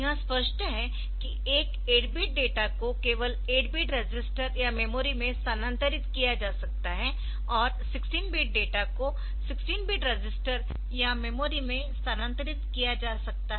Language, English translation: Hindi, One 8 bit data can only be moved to 8 bit AH register or memory, and a 16 bit data can be move to 16 bit register or a memory, so that is obvious